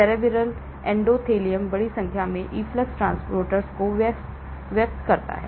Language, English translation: Hindi, Cerebral endothelium expresses a large number of efflux transporters